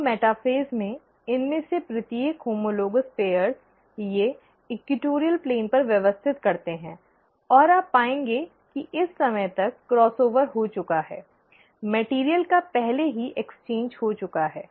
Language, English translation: Hindi, Now in metaphase, that each of these homologous pairs, they arrange at the equatorial plane, and you would find that by this time the cross over has already happened, the material has been already exchanged